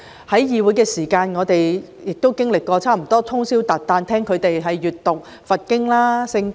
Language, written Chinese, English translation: Cantonese, 在會議廳內，我們曾通宵達旦聆聽他們閱讀佛經、《聖經》。, We once heard them read out Buddhist scriptures and Bible verses in the Chamber overnight